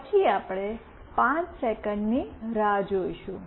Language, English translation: Gujarati, Then we will wait for 5 seconds